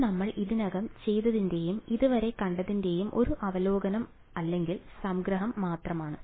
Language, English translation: Malayalam, So, it is just a review or a summary of what we have already done and seen so far ok